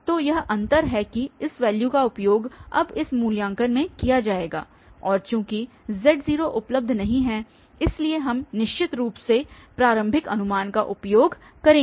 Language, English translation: Hindi, So, that is the difference that this value will be used in this evaluation now and since z0 is not available, so we will use of course from the initial guess